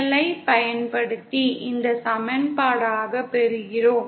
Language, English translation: Tamil, And using KCL, we get this as the equation